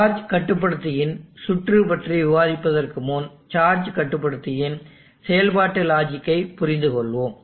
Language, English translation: Tamil, Before we discuss the circuit of the charge controller let us understand the functional logic of the charge controller